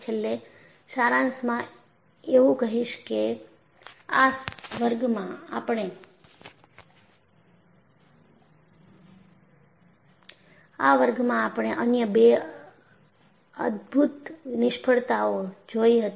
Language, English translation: Gujarati, To summarize, in this class, we had looked at the other 2 spectacular failures